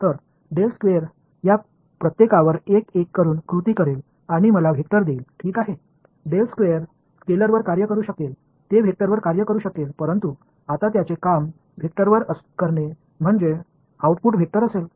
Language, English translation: Marathi, So, del squared will act on each of these guys one by one and give me a vector ok, del squared can act on the scalar it can act on a vector, but right now its acting on the vector so output will be a vector